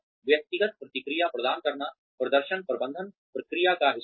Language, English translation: Hindi, Providing individual feedback is part of the performance management process